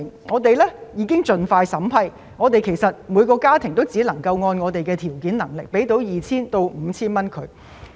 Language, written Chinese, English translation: Cantonese, 我們已盡快進行審批，但我們只能向每個家庭提供約 2,000 元至 5,000 元的援助。, We have expeditiously processed the applications and each household will be given some 2,000 to 5,000